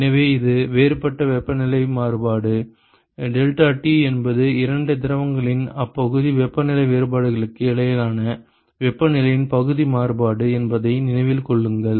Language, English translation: Tamil, So, that is the differential temperature variation, remember that deltaT is the local variation of the temperature between the two fluids local temperature difference